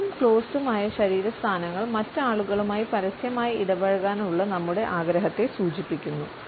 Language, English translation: Malayalam, The closed and open body positions indicate our desire to interact openly with other people